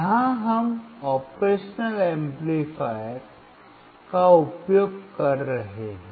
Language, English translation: Hindi, Here we are using operational amplifier